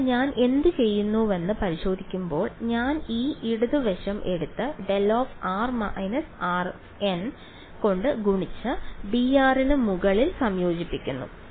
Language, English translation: Malayalam, So, in testing what will I do I will take this left hand side and multiplied by delta of r minus r m and integrate over d r